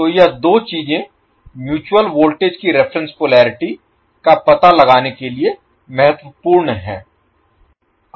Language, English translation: Hindi, So this two things are important to find out the reference polarity of the mutual voltage